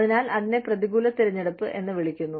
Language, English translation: Malayalam, So, that is called, adverse selection